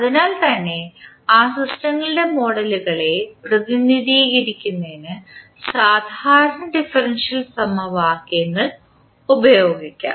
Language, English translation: Malayalam, So, that is why we can use the ordinary differential equations to represent the models of those systems